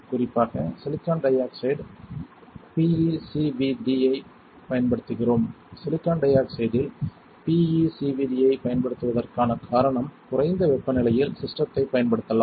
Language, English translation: Tamil, The silicon dioxide in particular we are using PECVD, the reason of using PECVD in silicon dioxide is that we can use the system at a lower temperature